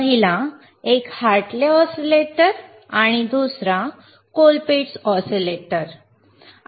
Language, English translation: Marathi, tThe first one wasis a Hartley oscillator and the second one was colpitts oscillator